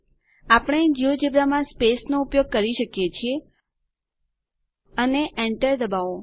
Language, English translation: Gujarati, For times in geogebra we can use the space, and press enter